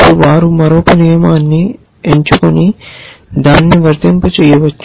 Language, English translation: Telugu, Then they may pick another rule and apply it and so on and so forth